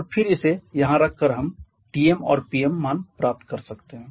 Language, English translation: Hindi, We can get the value of Tm and Pm